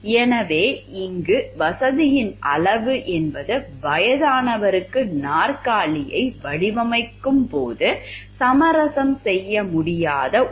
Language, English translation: Tamil, So, here the degree of comfort is something which cannot be compromised while we are designing a chair for a old person